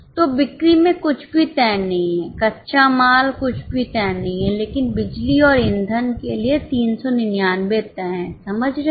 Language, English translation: Hindi, So, in sales nothing is fixed, raw material nothing is fixed but for power and fuel 399 is fixed